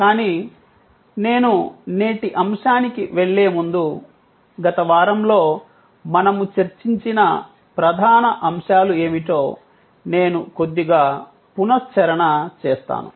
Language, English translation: Telugu, But, before I get one to today’s topic, I will do a little recap of what are the main points that we discussed during the last week